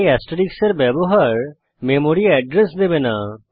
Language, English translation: Bengali, So using asterisk will not give the memory address